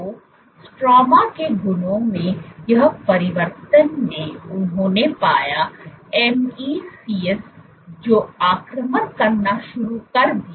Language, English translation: Hindi, So, this change in the stroma properties what they found was you have MEC’s started to invade